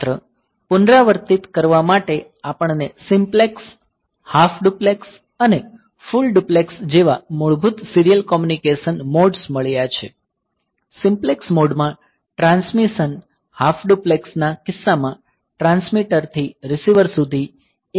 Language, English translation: Gujarati, basic serial communication modes like simplex, half duplex and full duplex in simplex mode the transmission is in one direction from transmitter to receiver in case of half duplex